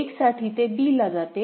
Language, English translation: Marathi, 1 it is going to b